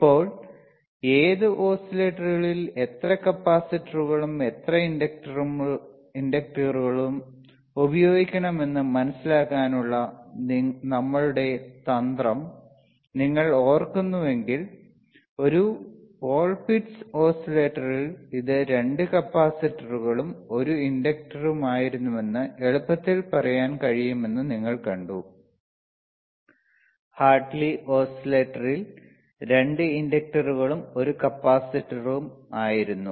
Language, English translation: Malayalam, Now, if you remember our trick to understand how many capacitors and how many inductors you have to use, in which oscillator, you have been sseen that in a Ccolpitts oscillator you can easily say that it iswas 2 capacitors and, 1 inductor right, while in Hartley oscillator there were 2 inductors and 1 capacitor